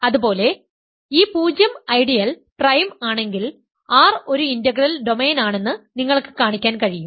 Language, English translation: Malayalam, Similarly, if it is zero ideal is prime then, you can show that R is an integral domain